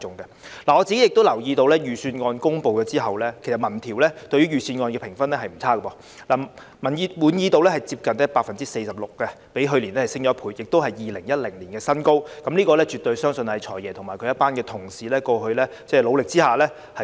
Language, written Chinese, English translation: Cantonese, 我留意到預算案公布之後，民調對於預算案的評分並不差，市民滿意度接近 46%， 較去年上升1倍，而且是2010年以來的新高，相信絕對是"財爺"和他的同事過去付出努力的成果。, I noticed that after the release of the Budget the rating of the Budget was not bad as shown in opinion surveys for it had a satisfaction rate of close to 46 % which doubled that of last year and represented a new high since 2010 . I believe this is absolutely the result of hard work by the Financial Secretary and his colleagues